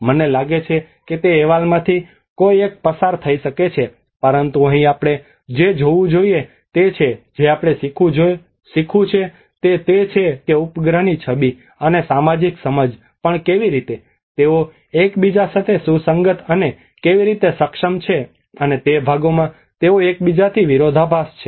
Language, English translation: Gujarati, I think one can go through that report but here what we have to see is what we have to learn from is that how even the satellite imagery and the social understanding, how they are able to correlate with each other, and also they in parts they also contrast with each other